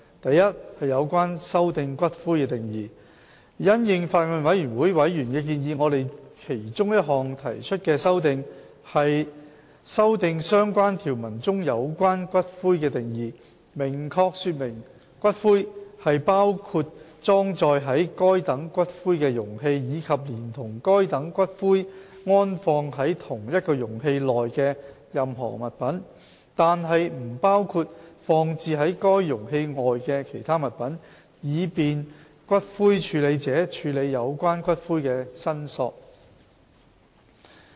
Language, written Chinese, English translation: Cantonese, a 有關修訂"骨灰"的定義因應法案委員會委員的建議，我們其中一項提出的修訂，是修訂相關條文中有關骨灰的定義，明確說明骨灰是包括裝載該等骨灰的容器，以及連同該等骨灰安放在同一容器內的任何物品，但不包括放置於該容器外的其他物品，以便骨灰處理者處理有關骨灰的申索。, a Amendments to the definition of ashes In response to the suggestions made by Members of the Bills Committee one of our proposed amendments revises the definition of ashes in the related provisions to make it clear that ashes include the container of such ashes as well as any items interred together with such ashes in the same container while other items placed outside such container are excluded with a view to facilitating ash handlers in dealing with claims for return of ashes